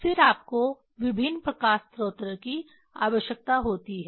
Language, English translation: Hindi, Then you need different light source